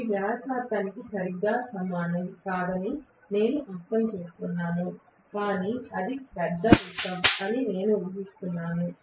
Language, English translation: Telugu, I understand that this is not exactly equivalent to the radius but assuming that it is a big circle